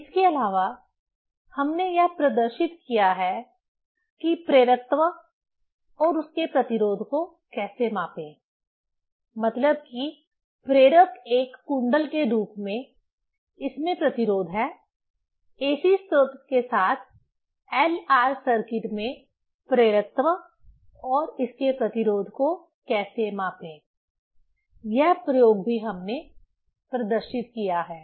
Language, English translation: Hindi, Also we have demonstrated how to measure the inductance and its resistance, means inductor in a coil form, it has resistance; how to measure the inductance and its resistance in LR circuit with AC source; this experiment also we have demonstrated